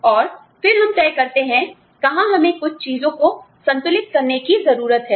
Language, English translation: Hindi, And then, we decide, where we need to balance out, certain things